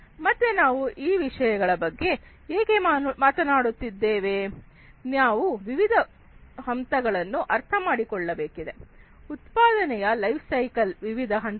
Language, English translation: Kannada, So, why we are talking about all of these things, we need to understand the different phase, the different phases of the lifecycle of any product